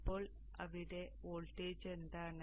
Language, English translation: Malayalam, So what is the voltage here